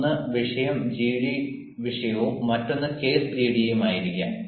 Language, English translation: Malayalam, one is a topic gd topic and another may be a case gd